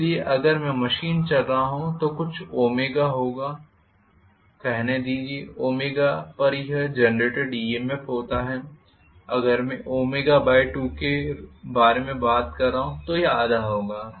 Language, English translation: Hindi, So if I am running the machine at let us say some omega I should have at omega this is the EMF generated if I am talking about omega by 2 it will be half that